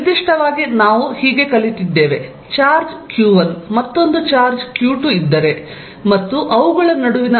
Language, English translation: Kannada, In particular we learnt, if there is a charge q1, another charge q2 and the distance between them is r12